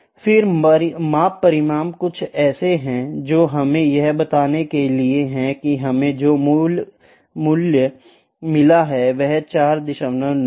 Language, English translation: Hindi, Then measurement result; measurement result is something that we have to let me say the value we have got here is 4